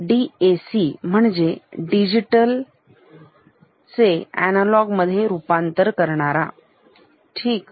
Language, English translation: Marathi, DAC stands for Digital to Analog Converter, ok